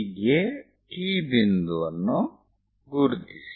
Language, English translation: Kannada, So, find this point T